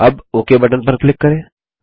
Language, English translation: Hindi, Now let us click on the Ok button